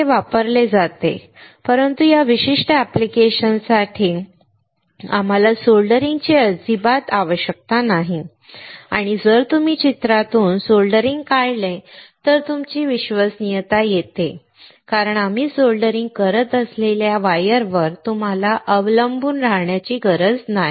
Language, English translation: Marathi, It is used, but for this particular application we do not require soldering at all and if you remove soldering from the picture, then your reliability comes up because you do not have to rely on this wires that we are soldering